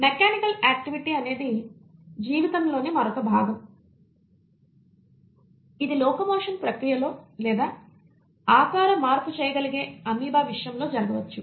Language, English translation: Telugu, Mechanical activity is another part of life as we mentioned which may either be involved in the process of locomotion or in this case of amoeba such as shape change